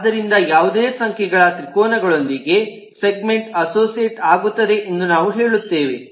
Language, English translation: Kannada, so we say that a segment could be associated with any number of triangles, but a triangle will be associated with three segments